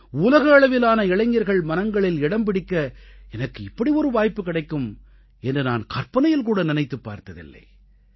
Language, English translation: Tamil, I had never thought that there would be an opportunity in my life to touch the hearts of young people around the world